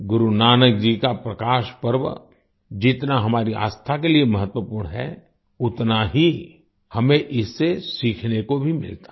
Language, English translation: Hindi, As much as the Prakash Parv of Guru Nanak ji is important for our faith, we equally get to learn from it